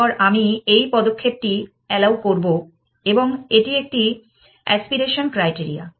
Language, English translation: Bengali, Then I will allow this move and that is an aspiration criteria